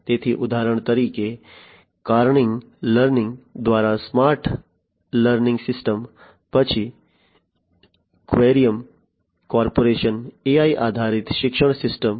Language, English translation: Gujarati, So for example, the smart learning systems by Carnegie Learning, then Querium Corporation AI based education system